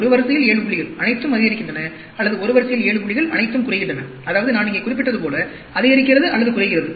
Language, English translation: Tamil, 7 points in a row, all increasing, or 7 points in a row, all decreasing, like I mentioned here, increasing or decreasing